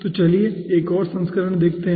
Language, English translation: Hindi, okay, then let us see the another version